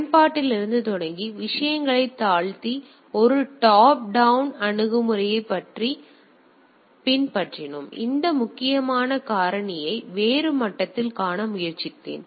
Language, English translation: Tamil, We followed a top down approach starting from the application and going coming down the things and I tried to see that important factor at a different level